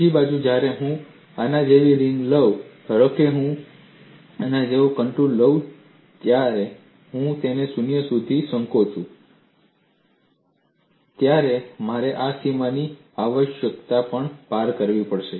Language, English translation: Gujarati, On the other hand when I take a ring like this, suppose I take a contour like this, when I shrink it to 0, I have necessarily crossed this boundary